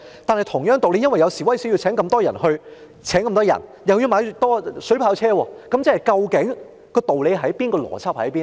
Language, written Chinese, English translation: Cantonese, 但同樣道理，由於有示威活動，所以要增聘人手，但又要購買水炮車，那麼究竟道理何在、邏輯何在呢？, However by the same token due to demonstrations the need for recruitment of additional manpower has arisen . But water cannon vehicles have to be procured as well . Then what is the reasoning and logic?